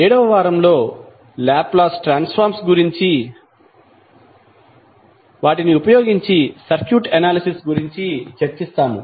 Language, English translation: Telugu, 7th week we will devote on circuit analysis using Laplace transform